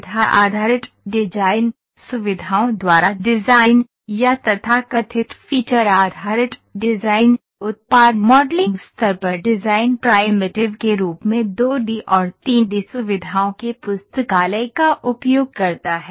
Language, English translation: Hindi, The feature based model, design by feature or so called feature based design used a 2D or 3D feature as design primitives on the product model